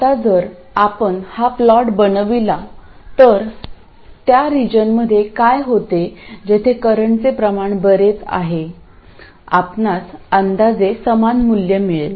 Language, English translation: Marathi, Now if you do plot this, what happens is in this region where the current is substantial, you will get approximately the same value